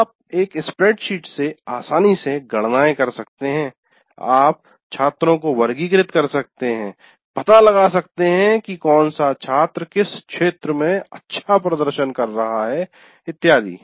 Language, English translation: Hindi, If you put in a spreadsheet and you can easily compute all aspects of all kinds of things, you can classify students, you can find out which student is performing in what area well and so on